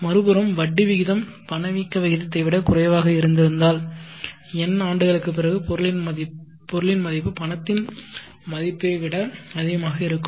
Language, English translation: Tamil, On the other hand if the interest rate had been lower than the inflation rate after n years the value of the item would have would be higher than the value of the money